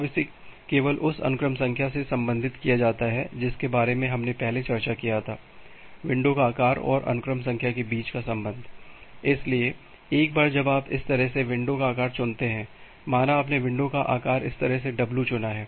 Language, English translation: Hindi, Now just relating it with the sequence number that we have discussed earlier, the relation between the window size and the sequence number, so, once you choose the window size in this way, say you have chosen the window size w in this way